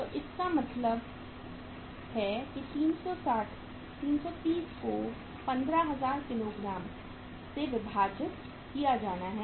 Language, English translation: Hindi, So it means 330 divided by 15000 kgs